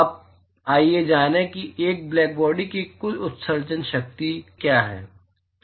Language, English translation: Hindi, Now let us find, what is the total emissive power, total emissive power of a blackbody